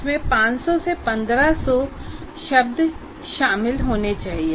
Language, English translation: Hindi, And it should include 500 to 1,500 words